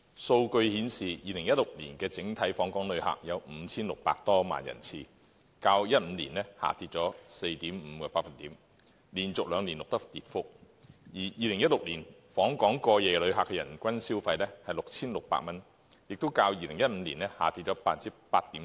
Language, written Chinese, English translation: Cantonese, 數據顯示 ，2016 年的整體訪港旅客有 5,600 多萬人次，較2015年下跌 4.5%， 連續兩年錄得跌幅，而2016年訪港過夜旅客的人均消費是 6,600 元，亦較2015年下跌 8.7%。, According to the statistics there were over 56 million visitor arrivals in the whole year of 2016 a drop of 4.5 % compared to 2015 and it was the second year that a drop was recorded . The spending per capita of overnight visitors in 2016 was 6,600 a drop of 8.7 % compared to 2015